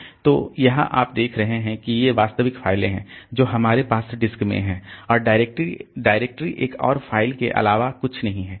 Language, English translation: Hindi, So, here you see that these are the actual files that we have in the disk and directory is nothing but another file